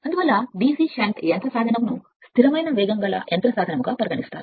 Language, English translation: Telugu, Therefore the DC shunt motor is therefore, considered as a constant speed motor